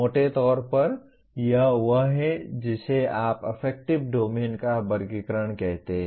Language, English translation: Hindi, Roughly this is the, what do you call the taxonomy of affective domain